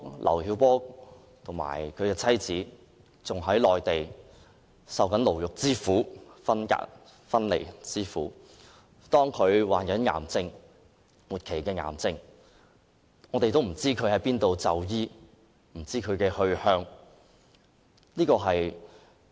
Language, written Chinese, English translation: Cantonese, 劉曉波和其妻子仍在內地受牢獄之苦和分離之苦，即使劉曉波患了末期癌症也不知道要往哪裏就醫。, LIU Xiaobo is still in the Mainland suffering from the pain of imprisonment and of separation from his wife . Though diagnosed with terminal cancer he has no idea where to receive medical treatment